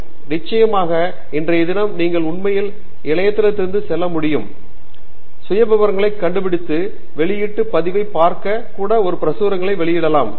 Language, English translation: Tamil, So then of course, today there is no dearth of information you can really go to website, find out the profiles, check out the publication record even probably read a couple of publications and so on